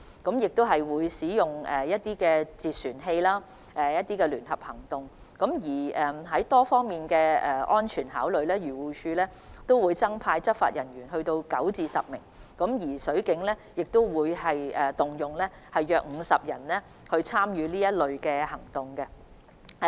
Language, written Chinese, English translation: Cantonese, 水警會使用截船器及組織相關聯合行動，從多方面作出安全考慮後，漁護署會增派9至10名執法人員，而水警亦會動員約50人參與相關行動。, Marine police will use vessel arrest systems and organize the related joint operations . After safety considerations from various angles AFCD will deploy 9 to 10 additional law enforcement officers and about 50 marine police officers will also be mobilized to participate in the operation